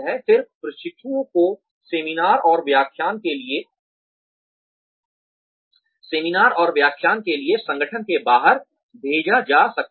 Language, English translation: Hindi, Then, trainees may be sent, outside the organization, for seminars and lectures